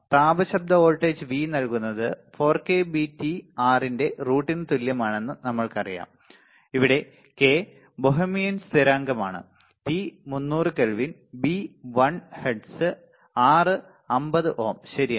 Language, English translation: Malayalam, We know that the thermal noise voltage is given by V equals to under root of 4 k B T R, where k is bohemian constant, T is 300 Kelvin, B is 1 hertz, R is 50 ohm ohms right